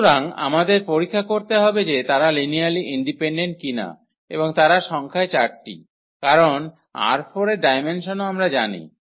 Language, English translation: Bengali, So, we do not have to check we have to check that they are linearly independent and they are 4 in number because, the dimension of R 4 also we know